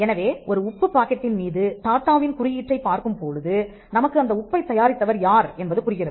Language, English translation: Tamil, So, when we see the Tata mark on a packet of common salt, we know who created it